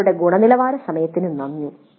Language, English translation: Malayalam, Thank you for your quality time